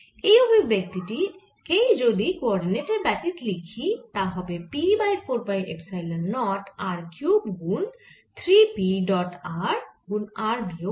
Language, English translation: Bengali, and when you write it in a coordinate free form, you get the same form like one over four pi epsilon naught r cube three p dot r r minus p